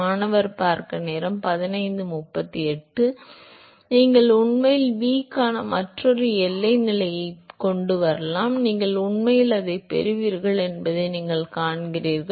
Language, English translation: Tamil, You can also bring actually another boundary condition for v; you see that you will actually get it